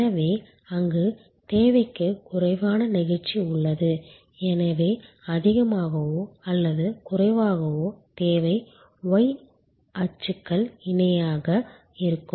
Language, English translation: Tamil, So, there is less elasticity of demand there, so more or less the demand will be steady almost parallel to the y axis